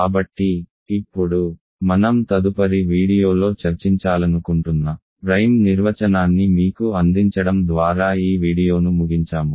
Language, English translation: Telugu, So, now, let me end this video by giving you the main definition that I want to discuss in the next video